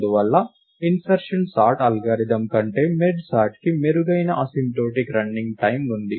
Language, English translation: Telugu, Therefore, merge sort has a better asymptotic running time than the algorithm insertion sort